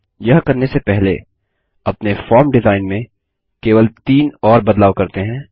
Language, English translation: Hindi, Before doing this, let us make just three more modifications to our form design